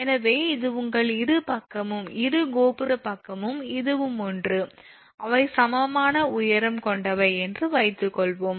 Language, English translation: Tamil, So, this is your suppose it is your both the side this is tower side this one and this one, they are of equal height right